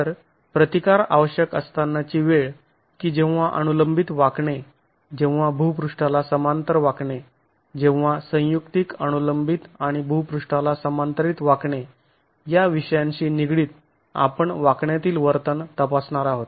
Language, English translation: Marathi, So, the case of the requirement of resistance when you have vertical bending, when you have horizontal bending and when you have a combination of vertical and horizontal bending is the context in which we are going to be examining the behavior in bending